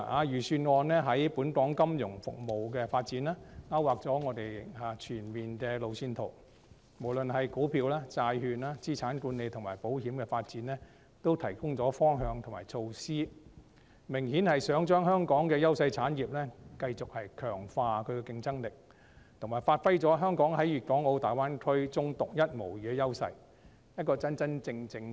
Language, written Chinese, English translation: Cantonese, 預算案在本港金融服務的發展方面，勾劃全面的路線圖；無論就股票、債券、資產管理及保險發展，均提供方向和措施，明顯地擬繼續強化香港優勢產業的競爭力，以及發揮香港在粵港澳大灣區中獨一無二的優勢，作為一個真正的國際化城市。, It outlines a comprehensive road map for the development of financial services in Hong Kong providing directions and measures in relation to stocks bonds asset management and insurance development with the clear objective of strengthening the competitiveness of those Hong Kong industries with a competitive edge and giving full play to Hong Kongs unique advantage as a truly international city in the Guangdong - Hong Kong - Macao Greater Bay Area